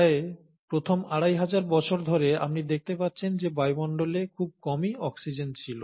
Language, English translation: Bengali, Almost for the first two and a half billion years, you find that there was hardly any oxygen in the atmosphere